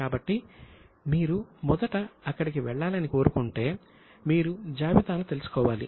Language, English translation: Telugu, So, if you aspire to go there, first of all, you should know the list